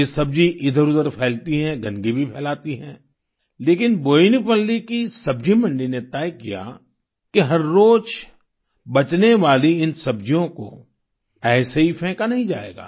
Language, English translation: Hindi, The vegetables spread all around, it spreads filth too, but the vegetable market of Boinpalli decided that it will not throw away the leftover vegetables just like that